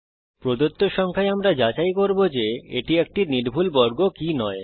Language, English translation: Bengali, Given a number, we shall find out if it is a perfect square or not